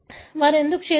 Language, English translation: Telugu, Why they have done it